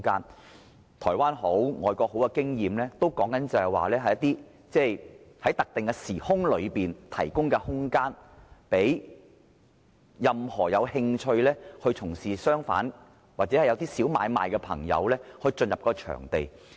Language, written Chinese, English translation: Cantonese, 無論是台灣或外國的經驗，所說的都是在特定時空內提供空間，讓任何有興趣從事商販或一些小買賣的朋友進入場地經營。, In Taiwan or foreign countries the concept is to provide venues at specific time for those who are interested to do business or small trading